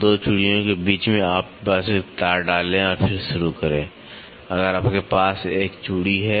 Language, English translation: Hindi, Between 2 threads you just put a wire and then start so, if you have a thread